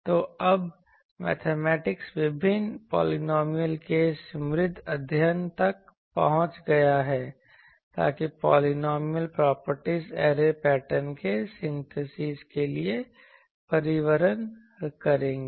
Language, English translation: Hindi, So, now the mathematics has reach richly study this is various polynomials so, that polynomials properties will transport to the synthesis of the array patterns